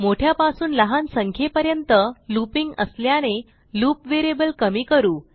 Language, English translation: Marathi, Since we are looping from a bigger number to a smaller number, we decrement the loop variable